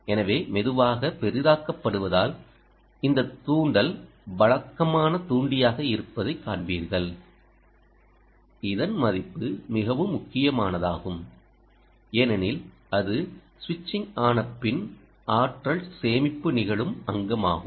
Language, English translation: Tamil, so its slowly getting zoomed, you will see that this inductor is the usual inductor, the output inductor, whose value is most critical, because that is the place where that is the component in which the energy storage occurs after switching